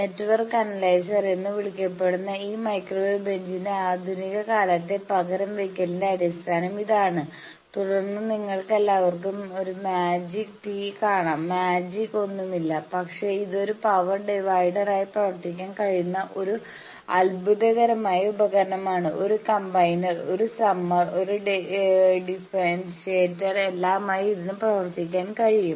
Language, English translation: Malayalam, And this is the basis of modern days replacement of this microwave bench which is called network analyzer and then you can all see a magic tee, there is nothing magic, but it is a wonderful device it can act as a power divider, it can act as a combiner, it can act as a summer, it can act as a differentiator all in one